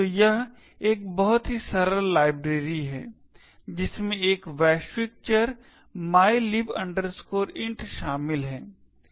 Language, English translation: Hindi, So, this is a very simple library it comprises of a global variable mylib int